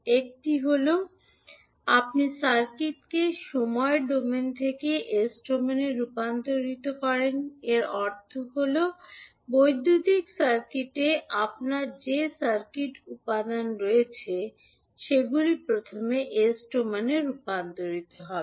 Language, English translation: Bengali, It actually involves three major steps, one is that you transform the circuit from time domain to the s domain, it means that whatever the circuit elements you have in the electrical circuit all will be first transformed into s domain